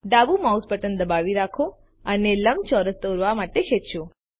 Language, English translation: Gujarati, Hold the left mouse button and drag to draw a rectangle